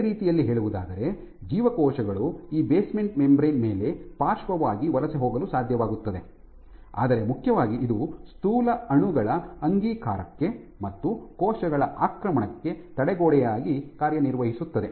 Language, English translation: Kannada, In other words cells might be able to migrate on this basement membrane laterally, but most importantly it acts as a barrier to passage of macromolecules and to cell invasion